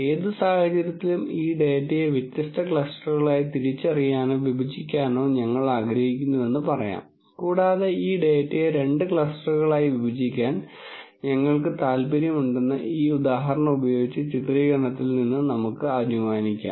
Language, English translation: Malayalam, In any case let us say we want to identify or partition this data into different clusters and let us assume for the sake of illustration with this example that we are interested in partitioning this data into two clusters